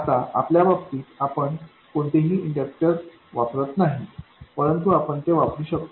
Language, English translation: Marathi, In our case we are not using any inductors but you could